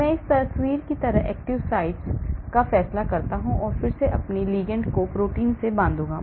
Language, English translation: Hindi, I decide on the active site like this picture and then I will bind my ligands to the protein